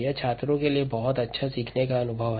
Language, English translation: Hindi, its a very good learning experience for the students